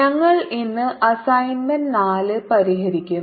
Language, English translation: Malayalam, We'll be solving assignment four today